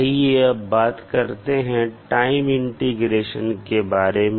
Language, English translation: Hindi, Now let’ us talk about the time integration